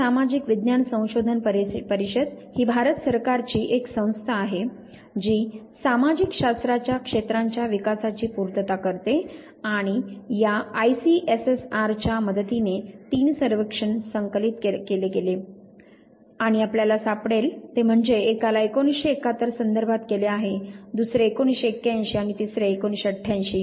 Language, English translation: Marathi, Indian council of social science research which is an organization of government of India which caters to the development in the area of social sciences with the help of ICSSR three surveys have been complied, and you would find one which refers to 1971, second 1981 and third 1988